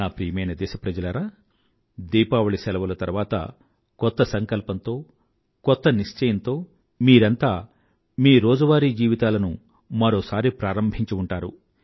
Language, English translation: Telugu, My dear countrymen, you must've returned to your respective routines after the Diwali vacation, with a new resolve, with a new determination